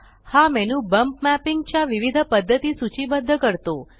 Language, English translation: Marathi, This menu lists the different methods of bump mapping